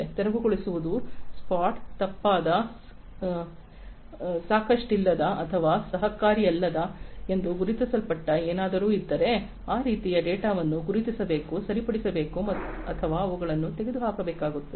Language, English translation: Kannada, Clearing is spot, if there is something that is spotted to be incorrect, insufficient or uncooperative then that kind of data will have to be spotted, corrected or they have to be removed